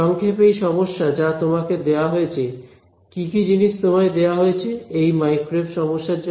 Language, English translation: Bengali, So, in short in this problem what is given to you, what all do you think is given to you in a problem like this microwave problem